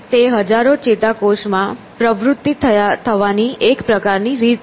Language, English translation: Gujarati, These are kind of concerted patterns of activity in thousands of neurons